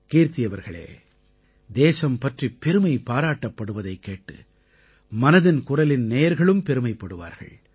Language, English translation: Tamil, Kirti ji, listening to these notes of glory for the country also fills the listeners of Mann Ki Baat with a sense of pride